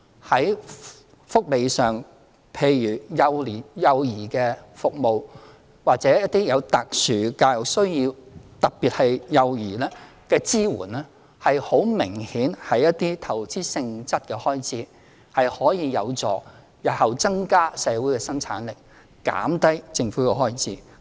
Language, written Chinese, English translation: Cantonese, 在福利方面的幼兒服務或一些特殊教育需要，特別是對幼兒的支援，很明顯是一些投資性質的開支，可以有助日後增加社會的生產力，減低政府的開支。, On the welfare level child care services or services to pupils with some special educational needs especially support to young children are very obviously investment expenditures which can help increase the productivity of society and reduce government expenditure in the future